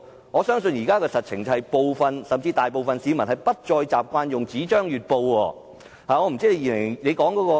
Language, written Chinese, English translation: Cantonese, 我相信實情是，部分甚至大部分市民不再習慣閱讀報紙。, I believe the actual situation is that some or even most members of the public no longer have the habit of reading newspapers